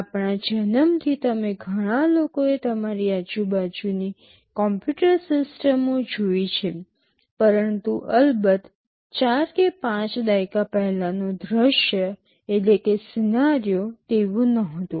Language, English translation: Gujarati, Since our birth many of you have seen computer systems around you, but of course, the scenario was not the same maybe 4 or 5 decades back